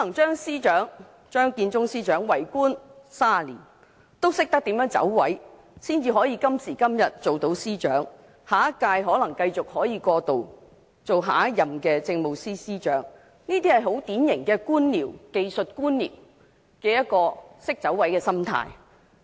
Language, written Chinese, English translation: Cantonese, 張建宗司長為官30年，可能都懂得怎樣"走位"，所以今時今日才可以擔任司長，亦可能可以過渡至下屆政府繼續擔任政務司司長，這是典型技術官僚一種懂得"走位"的心態。, Being a public official for 30 years Chief Secretary Matthew CHEUNG probably knows how to take the right course and that is why he can now be the Chief Secretary and may still serve as the Chief Secretary in the next - term Government . This is the mentality of a typical technocrat who knows how to take the right course